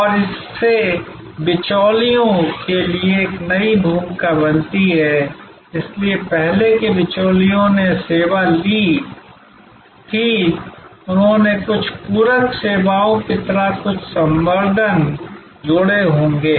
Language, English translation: Hindi, And that’s creates this new role for intermediaries, so earlier intermediaries took the service, they might have added some enhancements like some supplementary services